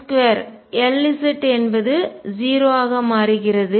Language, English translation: Tamil, L square L z turns out to be 0